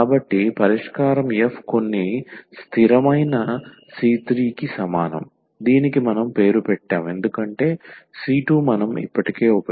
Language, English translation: Telugu, So, the solution will be f is equal to some constant c 3 we have named it because c 2 we have used already